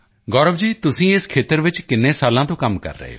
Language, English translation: Punjabi, Gaurav ji for how many years have you been working in this